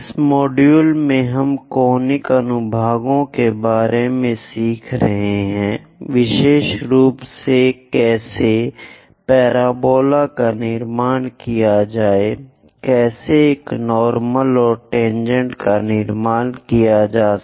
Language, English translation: Hindi, In this module, we are learning about Conic Sections; especially how to construct parabola, how to draw a normal and tangent to it